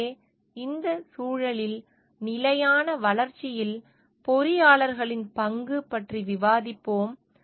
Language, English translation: Tamil, So, in this context, we will discuss the role of engineers in sustainable development